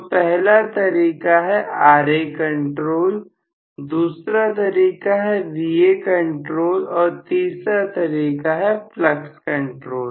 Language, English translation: Hindi, So, the first method is Ra control, the second method is Va control and the third method is flux control